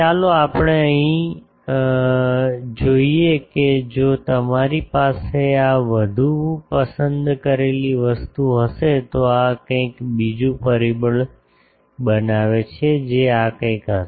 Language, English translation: Gujarati, Let us look here that if you have these the more picky thing will be something like this make another factor that will be something like this